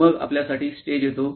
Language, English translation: Marathi, Then, comes the stage for us